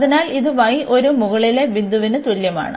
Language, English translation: Malayalam, So, this is y is equal to a the upper point